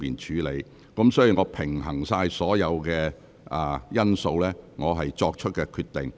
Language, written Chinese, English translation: Cantonese, 這是我平衡所有因素後作出的決定。, This decision is made after I have balanced all the factors